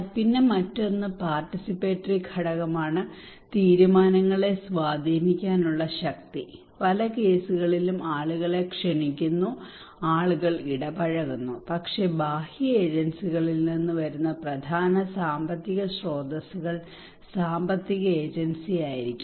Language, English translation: Malayalam, Then another participatory component is the power to influence the decisions we should remember that many cases people are invited, people are engaged, but maybe the financial agency the major financial resources that is coming from the external agencies